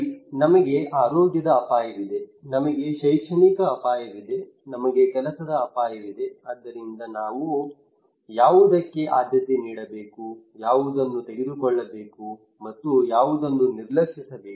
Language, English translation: Kannada, Okay, we have a health risk, we have academic risk, we have job risk so which one I should prioritise, which one I should take and which one I should ignore